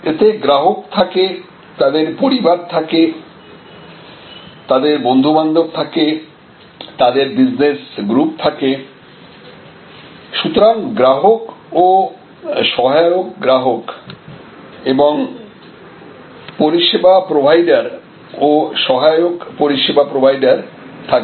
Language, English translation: Bengali, So, there are customers, their families, their friends their it can be a business groups, so there are customers and subsidiary customers service providers and subsidiary service providers